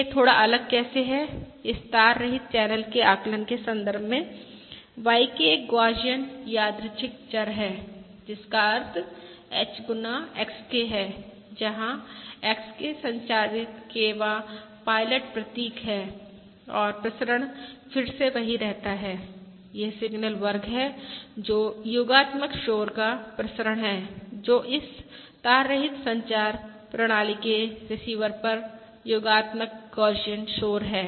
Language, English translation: Hindi, How it is slightly different in the context of this wireless channel estimation: YK is a Gaussian random variable with mean H times XK, where XK is the transmitted kth pilot symbol and the variance, of course, again remains the same: it is Sigma square, which is the variance of the additive noise, that is, the additive Gaussian noise at the receiver of this wireless communication system